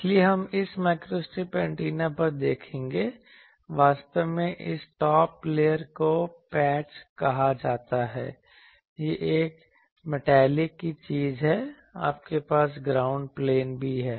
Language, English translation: Hindi, So, but we will now see if you look at this microstrip antenna actually this top layer is called patch this is a metallic thing, also you have the ground plane